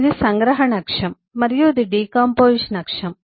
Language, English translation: Telugu, this is the axis of abstraction and this is the axis of decomposition